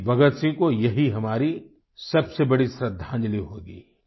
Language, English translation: Hindi, That would be our biggest tribute to Shahid Bhagat Singh